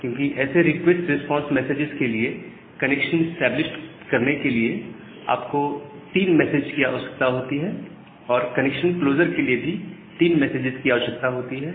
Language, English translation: Hindi, Because for this request response message, you require three messages for connection establishment and three messages for connection closure, so that is one of the over head